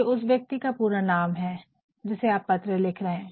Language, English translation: Hindi, This is actually the full name of the person to whom you are writing